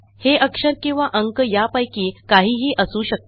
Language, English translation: Marathi, This can be either a letter or number